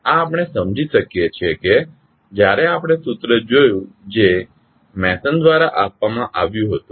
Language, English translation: Gujarati, So this we can understand when we see the formula which was given by Mason